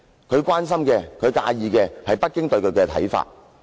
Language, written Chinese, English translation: Cantonese, 他關心和介意的是北京對他的看法。, He only cares about Beijings opinion of him